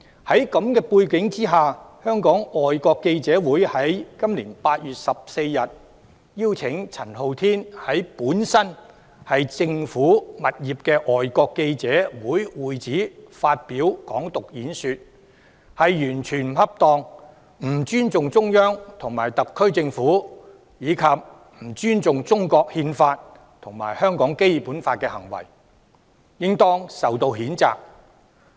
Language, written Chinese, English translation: Cantonese, 在這個背景下，今年8月14日，香港外國記者會邀請陳浩天在本來是政府物業的外國記者會會址發表"港獨"演說，這是完全不恰當，不尊重中央和特區政府，以及不尊重中國《憲法》和香港《基本法》的行為，應當受到譴責。, Against this background on 14 August this year the Foreign Correspondents Club Hong Kong FCC invited Andy CHAN to deliver a speech on Hong Kong independence at FCC previously a government property . This act is totally inappropriate showing no respect for the Central Authorities and the HKSAR Government the Constitution of China and the Basic Law of Hong Kong and should be condemned